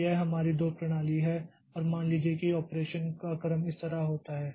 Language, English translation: Hindi, So, this is our two system and suppose the sequence of operation happens like this